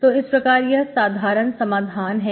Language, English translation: Hindi, So this is the general solution